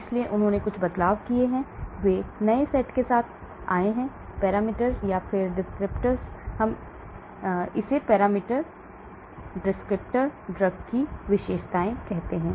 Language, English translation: Hindi, So they have made some changes, they came up with new set of parameters or descriptors we call it parameters, descriptors, features of the drug